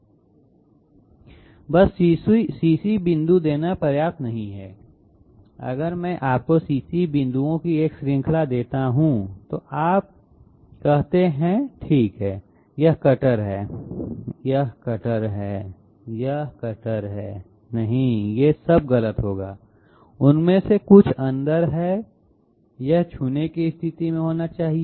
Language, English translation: Hindi, Just giving CC point is not enough, if I give you a series of CC points, and you draw okay this is the cutter, this is the cutter, this is the cutter, no all these would be wrong, part of them are inside, it should be in the touching condition